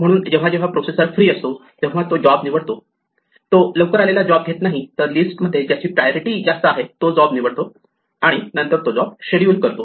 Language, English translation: Marathi, So, whenever the processor is free it picks the job, not the job which arrived earliest, but the one with maximum priority in the list and then schedules it